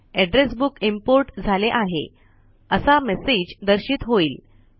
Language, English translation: Marathi, A message that the address book has been imported is displayed